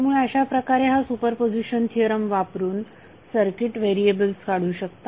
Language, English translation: Marathi, So in this way you can use these super position theorem to calculate the circuit variable